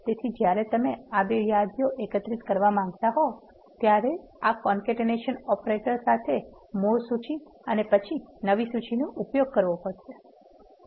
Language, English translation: Gujarati, So, when you want to concatenate these two lists you have to use this concatenation operator, the original list and then the new list